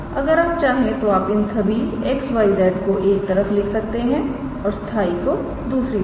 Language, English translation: Hindi, If you want then you can keep all these X Y Z on one side and constant on the other side